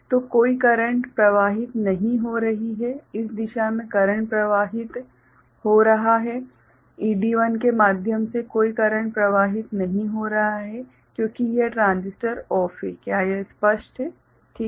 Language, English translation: Hindi, So, no current is flowing, current is flowing in this direction from through ED1 no current is flowing, because this transistor is OFF is it clear, right